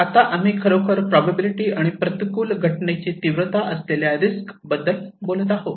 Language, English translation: Marathi, Now, we are talking about that risk is actually the probability and the magnitude of an adverse event